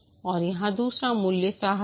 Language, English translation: Hindi, And here the other value is courage